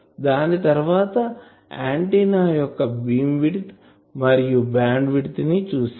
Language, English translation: Telugu, And after that we have seen the concept of beamwidth and concept of bandwidth